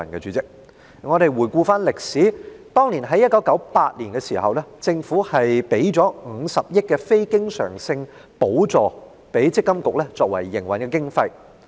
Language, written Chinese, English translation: Cantonese, 主席，回顧歷史，政府在1998年給予積金局50億元非經常性補助作為營運經費。, President looking back at history the Government provided a Capital Grant of 5 billion for MPFA in 1998 to meet its operating expenses